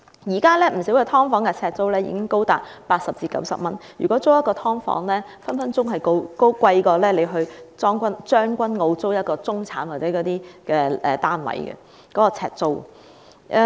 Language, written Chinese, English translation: Cantonese, 現時不少"劏房"的呎租已經高達80元至90元，一間"劏房"的呎租有可能較一個將軍澳中產單位的呎租為高。, Now the per - square - foot rental of subdivided units is as high as 80 to 90 hence the per - square - foot rental of a subdivided unit may well be higher than that of a middle - class flat in Tseung Kwan O